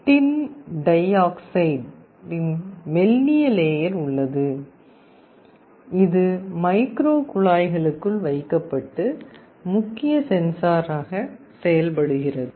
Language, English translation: Tamil, There is a thin layer of tin dioxide, which is put inside the micro tubes and acts as the main sensor